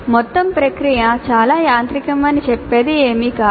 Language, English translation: Telugu, There is nothing which says that the entire process is too mechanical